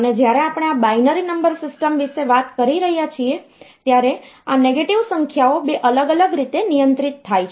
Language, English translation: Gujarati, And when we are talking about this binary number system, then this negative numbers are handled in 2 different ways